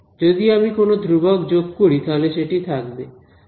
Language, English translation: Bengali, If I add any constant, it will not survive right